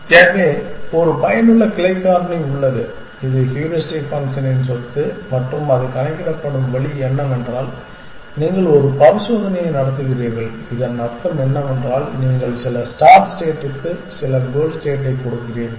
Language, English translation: Tamil, So, there is a effective branching factor it is the property of the heuristic function and the way it is computed is that you run an experiment what is it mean you give some start state some goal state